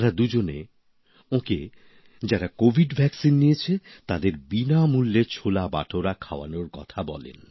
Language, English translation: Bengali, Both requested him to feed cholebhature for free to those who had got the COVID Vaccine